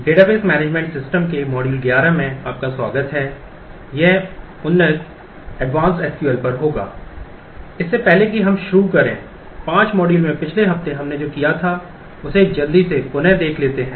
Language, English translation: Hindi, Before we start let me quickly recap what we did last week in the five modules